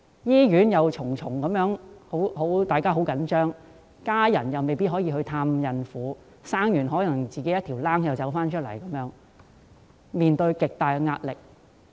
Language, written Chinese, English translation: Cantonese, 醫院的氣氛緊張，在她們生產後，家人亦未必可以到醫院探望，甚至有可能要自行出院，致令她們面對極大壓力。, Given the tense atmosphere in hospitals women who have just given births may not be visited by their family members . Worse still these women may have to leave the hospital by themselves exerting immense pressure on them